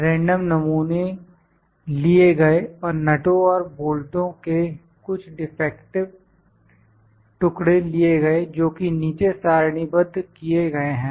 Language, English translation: Hindi, Random sample were taken and some defective pieces of nuts and bolts were obtained and as tabulated below